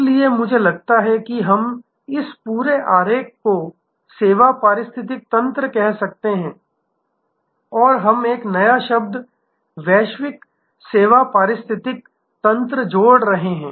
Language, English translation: Hindi, So, I think we can call this whole diagram as service ecosystem and we are adding a new word global service ecosystem